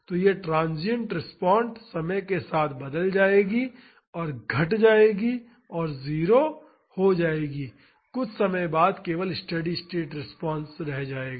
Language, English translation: Hindi, So, this transient respond will change with time and decays and becomes 0 and only the steady state response remains after some time